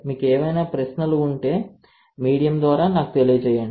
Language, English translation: Telugu, If you have any questions you let me know through the, to the medium, right